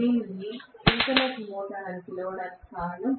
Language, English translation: Telugu, That is the reason why it is called as the synchronous motor